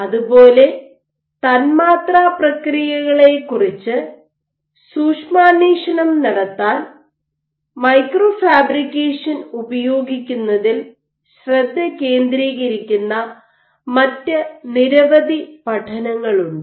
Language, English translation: Malayalam, Similarly, there are multiple other studies which are focused on using micro fabrication to glean insight into molecular processes